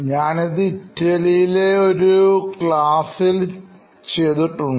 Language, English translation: Malayalam, So, I have done this in a field in a class in Italy